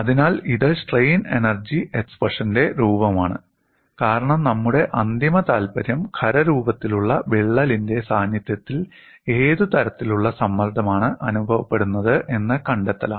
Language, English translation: Malayalam, So, this is the form of the strain energy expression, because our final interest is to see, what is the kind of strain energy in the presence of a crack in a solid, this is what we want to arrive at